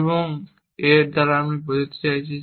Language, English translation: Bengali, So, what do I mean by this